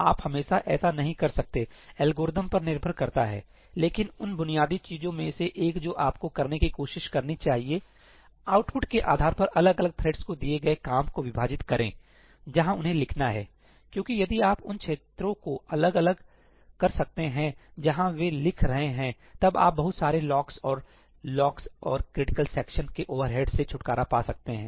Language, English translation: Hindi, You cannot always do it depends on the algorithm but one of the basic things you should try to do is divide the work given to different threads based on the output where they have to write because if you can separate out the regions where they are writing, then you can get rid of a lot of locks and overhead of locks and critical sections